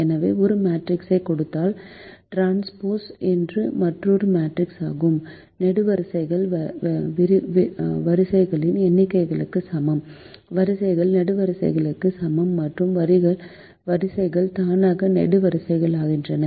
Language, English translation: Tamil, so, given a matrix, the transpose is a another matrix, such that it has: the columns is equal to the number of rows, the rows equal to columns and the rows automatically become the columns